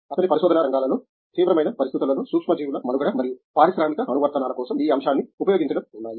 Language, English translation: Telugu, His areas of research include survival of microbes under extreme conditions and exploiting this aspect for industrial applications